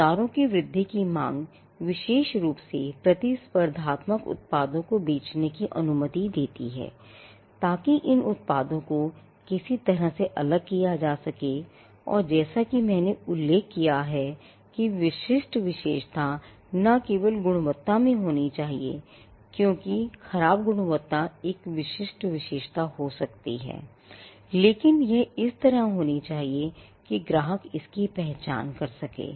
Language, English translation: Hindi, The growth of markets, especially which allowed for competing products to be sold require that, these products can be distinguished in some way and as I mentioned the distinguishing feature need not be just in the quality because, the poor quality can be a distinguishing feature, but it also had to be in a way in which customers could identify it